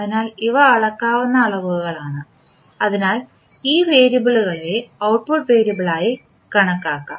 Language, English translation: Malayalam, So, these are measurable quantity so that is way these variables can be qualified as an output variable